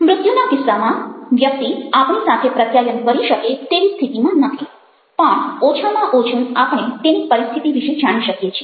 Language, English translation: Gujarati, in case of death, the person is no longer in a position to communicate with us, but at least we get to know about his state of affairs